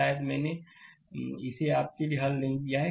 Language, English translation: Hindi, Probably, I have not solve it for you